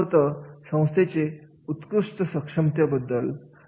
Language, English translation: Marathi, This is all about the organizational excellence potential is there